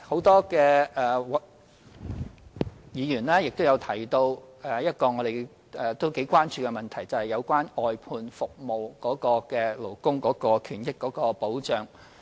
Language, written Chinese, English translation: Cantonese, 多位議員亦提到另一廣為關注的問題，就是外判服務的勞工權益和保障。, A number of Members also mentioned another issue of extensive concern and that is the rights and interests of workers of outsourced services and their protection